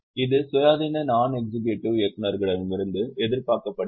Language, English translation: Tamil, This is expected from independent non executive directors